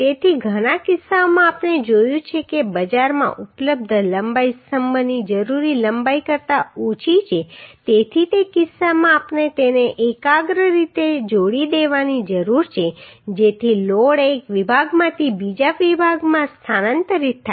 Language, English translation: Gujarati, So in many cases we have seen the available length in the market is less than the required length of the column so in that case we need to joint those together concentrically so that the load is transferred from one section to another section